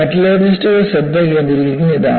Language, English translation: Malayalam, And this is what metallurgists focus upon